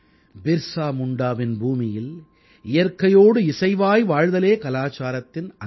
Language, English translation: Tamil, This is BirsaMunda's land, where cohabiting in harmony with nature is a part of the culture